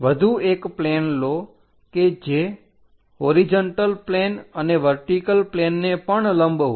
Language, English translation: Gujarati, Take one more plane which is normal to both horizontal plane and also vertical plane